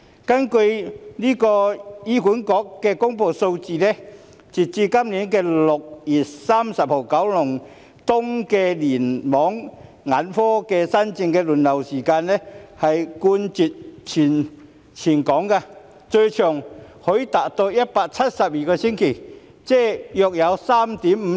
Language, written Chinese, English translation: Cantonese, 根據醫院管理局公布的數字，截至今年6月30日，九龍東聯網眼科新症的輪候時間，冠絕全港，最長可達172星期，即約 3.5 年。, According to the figures released by the Hospital Authority as at 30 June this year the waiting time for new ophthalmology cases in the Kowloon East Cluster was the longest in Hong Kong reaching 172 weeks or about 3.5 years